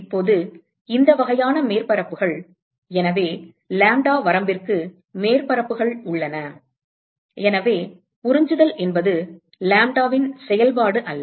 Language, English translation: Tamil, Now, so these kinds of surfaces, so there are surfaces where for a range of lambda, so the absorptivity is not a function of lambda